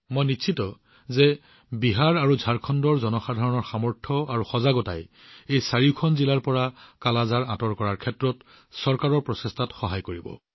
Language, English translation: Assamese, I am sure, the strength and awareness of the people of BiharJharkhand will help the government's efforts to eliminate 'Kala Azar' from these four districts as well